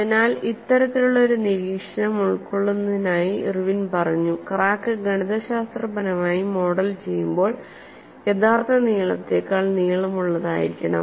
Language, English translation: Malayalam, So, only to accommodate this kind of an observation Irwin said, that the crack is to be mathematically modeled to be longer than the actual length